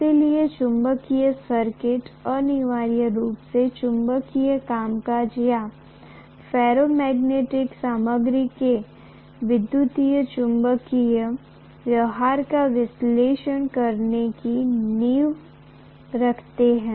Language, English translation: Hindi, So magnetic circuits essentially lays the foundation for analyzing the magnetic functioning or how electromagnetic behavior of the ferromagnetic material is